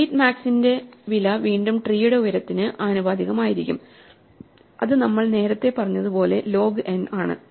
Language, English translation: Malayalam, Once again the cost of delete max will be proportional to the height of the tree which as we said earlier is log n